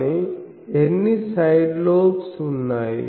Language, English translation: Telugu, But, how many side lobes are there